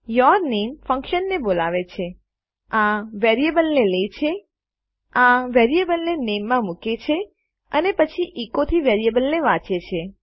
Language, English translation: Gujarati, yourname calls the function, takes this variable into account, puts this variable into name and then reads the variable from echo